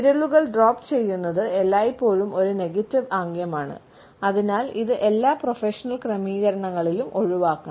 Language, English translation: Malayalam, Dropping of fingers is always a negative gesture and therefore, it should be avoided in all of our professional settings